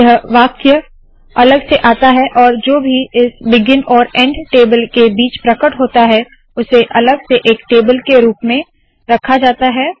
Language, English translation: Hindi, This statement comes separately and whatever that appeared between this begin and end table have been placed separately as a table